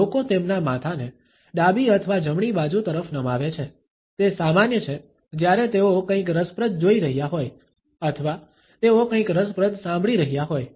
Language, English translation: Gujarati, It is common for people to tilt their heads either towards the left or the right hand side, while they are watching something of interest or they are listening to something interesting